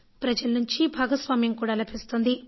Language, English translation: Telugu, We are receiving public participation too